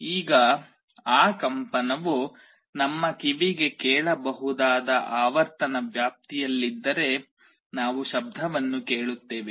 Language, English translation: Kannada, Now, if that vibration is in a frequency range that our ear can hear we will be hearing a sound